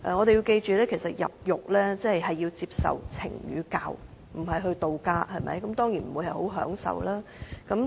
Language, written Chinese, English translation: Cantonese, 大家請記着，入獄是為了接受懲與教，不是度假，當然不會很享受。, Members should bear in mind that a prison sentence is intended as a kind of punishment and teaching rather than a vacation . It is certainly not very enjoyable